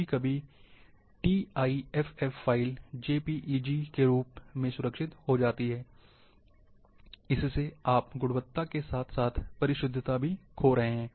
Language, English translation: Hindi, Sometimes for tiff file save as Jpeg, you are losing the quality or precision also